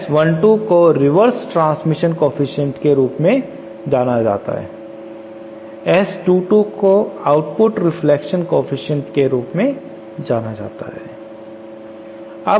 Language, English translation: Hindi, S 1 2 is known as the reverse transmission coefficient and S 2 2 is known as the output reflection coefficient